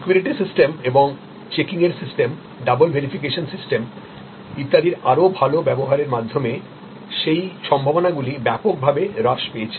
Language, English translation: Bengali, Those possibilities have been vastly reduced by better use of securities systems and checking's systems, double verification system and so on